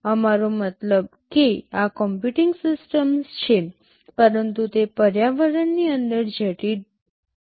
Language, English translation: Gujarati, We mean these are computing systems, but they are embedded inside the environment